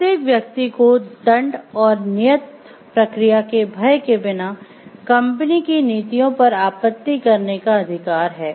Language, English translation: Hindi, Every person has the right to object to company’s policies without the fear of getting punished or retribution and the right to due process